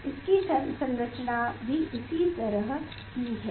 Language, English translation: Hindi, its structure is like this